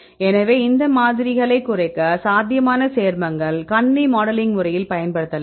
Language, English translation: Tamil, So, to reduce these samples, to reduce the probable potential compounds right we can use the computer modeling right